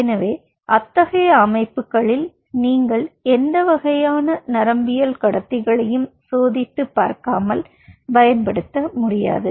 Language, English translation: Tamil, so in such systems you cannot rampantly use any kind of neurotransmitters so easily, because they are so fragile they are